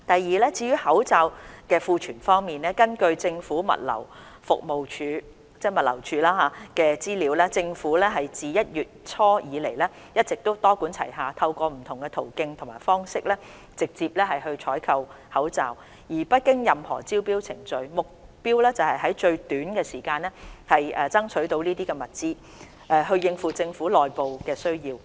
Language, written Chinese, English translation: Cantonese, 二至於口罩的庫存方面，根據政府物流服務署的資料，政府自1月初以來一直多管齊下，透過不同途徑和方式，直接採購口罩，而不經任何招標程序，目標是在最短時間內爭取到這些物資，應付政府內部的需要。, 2 As regards the stock of masks according to the information from the Government Logistics Department GLD since early January the Government has been adopting a multi - pronged approach to procure masks directly through different channels and means without undergoing any tendering procedures with a view to securing the resources in the shortest time possible to meet the operational needs of the Government